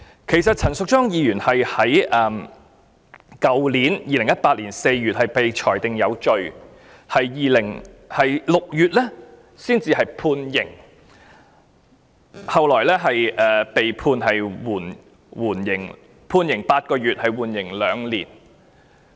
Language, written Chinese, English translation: Cantonese, 其實陳淑莊議員是在去年4月被裁定有罪，及至6月被判刑，最後被判刑8個月，緩刑2年。, Actually Ms Tanya CHAN was convicted in April last year ie . 2018 and she is sentenced to eight - month imprisonment with a two - year suspension